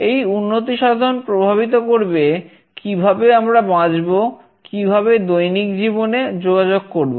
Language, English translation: Bengali, These developments shall be influencing the way we live, we communicate in our daily life